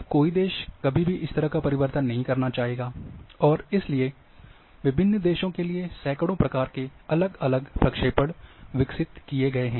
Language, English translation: Hindi, Now no country would ever like to have that kind of change, and therefore, there are hundreds of projections have been developed, for different countries